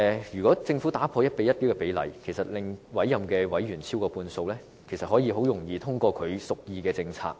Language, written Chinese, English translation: Cantonese, 如果改變 1：1 的比例，令委任委員超過半數，政府便可以很容易通過所屬意的政策。, In case the ratio of 1col1 ratio is altered and appointed members come to constitute the majority in MCHK it will be very easy for the Government to pass any policies it wants